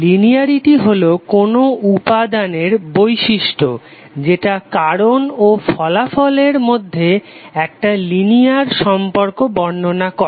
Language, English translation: Bengali, Linearity is the property of an element describing a linear relationship between cause and effect